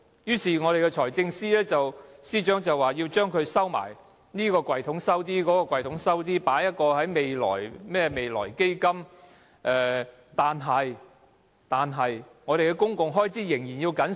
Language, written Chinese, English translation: Cantonese, 於是，財政司司長便要把錢藏起來，在這個抽屉藏一些，在那個抽屉又藏一些，還設一個未來基金，但我們的公共開支仍要緊縮。, As a result the Financial Secretary has to hide the money some in this drawer and some in the other and even resorted to setting up the Future Fund . Yet public expenditure has to be tightened